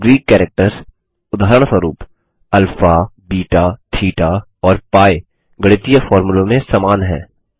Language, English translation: Hindi, Now Greek characters, for example, alpha, beta, theta and pi are common in mathematical formulas